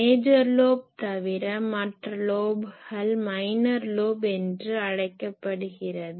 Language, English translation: Tamil, Any lobe except major lobe are called minor lobe